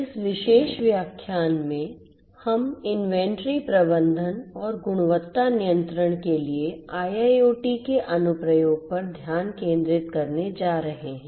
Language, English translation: Hindi, In this particular lecture, we are going to focus on the Application of IIoT for inventory management and quality control